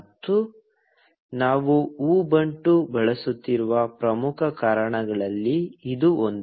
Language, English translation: Kannada, And, this is one of the prime reasons that we are using Ubuntu